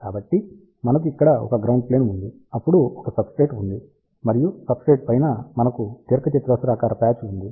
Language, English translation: Telugu, So, we have a ground plane over here then a substrate and on top of the substrate, we have a rectangular patch